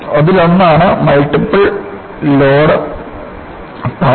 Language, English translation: Malayalam, One is the multiple load path